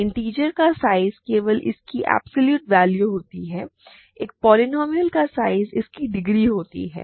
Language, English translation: Hindi, Size of an integer it is just its absolute value, size of a polynomial is its degree